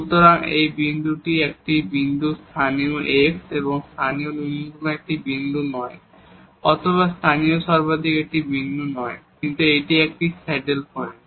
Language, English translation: Bengali, So, this point is a point of it is not a point of local x, local minimum or it is not a point of local maximum, but it is a saddle point